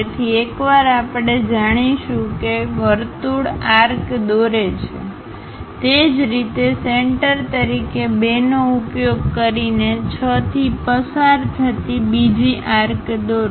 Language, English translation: Gujarati, So, once we know that circle arc draw that one; similarly, using 2 as center draw another arc passing through 6